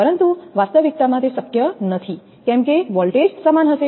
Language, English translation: Gujarati, But in reality it is not possible then voltage will be equal